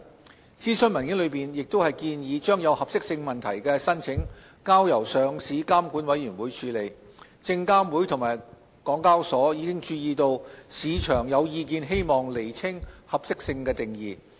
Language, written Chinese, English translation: Cantonese, 就諮詢文件內建議將有合適性問題的申請交由上市監管委員會處理，證監會及港交所已注意到市場有意見希望釐清合適性定義。, SFC and HKEx have noted with regard to the consultation papers proposal to let applications with suitability issue to be decided by LRC market views which seek a clarification of the definition of suitability